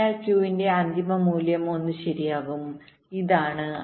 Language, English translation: Malayalam, so the final value of q will be one right